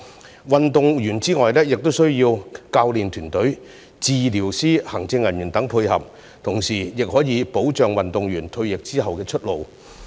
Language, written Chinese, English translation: Cantonese, 除了運動員之外，體育事業產業化也需要教練團隊、治療師、行政人員等的配合，同時也可以保障運動員退役後的出路。, The industrialization of sports would require the collaboration of athletes and personnel such as coaches therapists and administrators to give athletes among others a more secure future after retirement